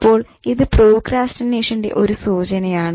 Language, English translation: Malayalam, So, that's again a symptom of procrastination